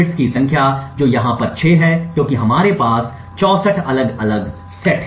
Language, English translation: Hindi, Number of set bits which is 6 over here because we have 64 different sets